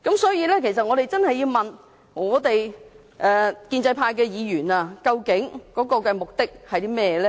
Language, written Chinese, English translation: Cantonese, 所以，我們真的要問建制派議員究竟目的何在？, Therefore we really need to ask Members from the pro - establishment camp what is their intention?